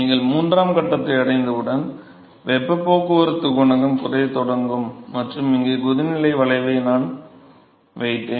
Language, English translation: Tamil, So, therefore, the heat transport coefficient will start decreasing as soon as you reach the third stage and the boiling curve here is if I put